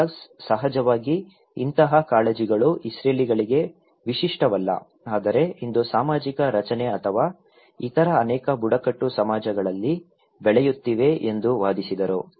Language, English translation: Kannada, Douglas was, of course, arguing that such concerns are not unique to the Israelis but thrive today in support of social structure or many other tribal societies